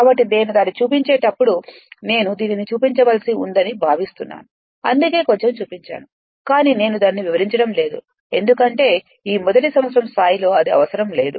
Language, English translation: Telugu, So, when I am showing it I think I have to show it for the sake of completeness I have to show this one, that is why little bit of right up is there, but I am not explaining that right because at this first year level there is no I mean no need